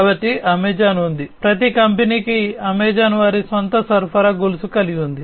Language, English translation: Telugu, So, Amazon has, every company has, Amazon also has their own supply chain